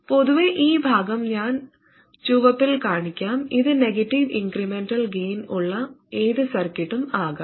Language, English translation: Malayalam, In general, this part of it that I will show in red, this can be any circuit that has a negative incremental gain